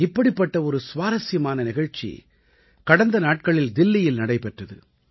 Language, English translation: Tamil, One such interesting programme was held in Delhi recently